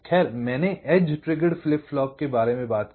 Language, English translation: Hindi, well, i talked about edge trigged flip flop